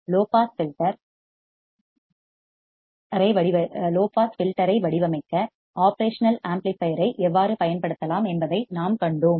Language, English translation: Tamil, We have seen how you can use an operational amplifier for designing the low pass filter